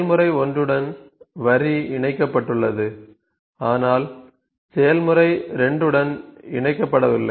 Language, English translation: Tamil, This is connected to process 1, but not connected to process 2 deleting